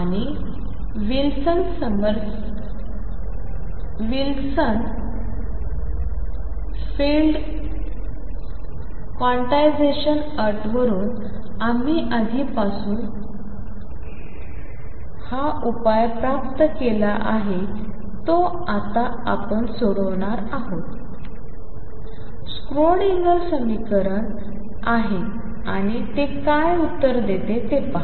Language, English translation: Marathi, And this solution we have already obtain earlier from Wilson Summerfield quantization condition now we are going to solve it is Schrödinger equation and see what answer it gives